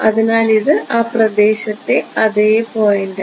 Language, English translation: Malayalam, So, this is the same point in space